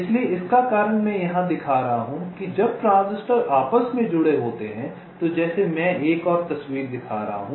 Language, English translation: Hindi, ok, so the reason i am showing this is that when the transistors are interconnected like i am showing another picture very quickly